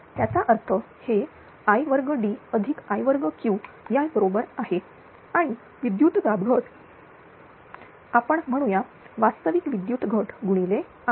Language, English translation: Marathi, That means, this one is equal to id square plus i Q square right and power loss say real power loss multiplied by r